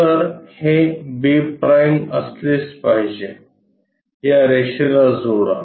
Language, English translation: Marathi, So, this must be b’ join this line